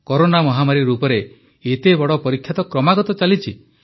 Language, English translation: Odia, In the form of the Corona pandemic, we are being continuously put to test